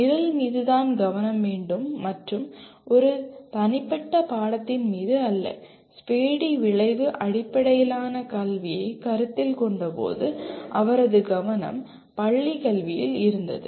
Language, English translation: Tamil, Program is the focus and not necessarily the individual course and when Spady considered outcome based education his focus was on school education